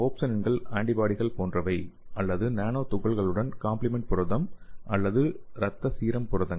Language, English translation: Tamil, So the opsonins are like immunoglobulin or complement component and blood serum proteins okay